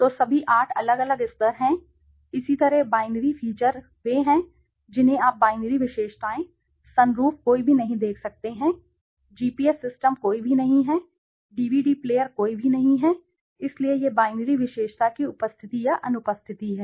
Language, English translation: Hindi, So, all the 8 are different levels, similarly the binary features they are you can see binary attributes, sunroof none or there, GPS system none there, DVD player none there, so this is the presence or absence of a binary attribute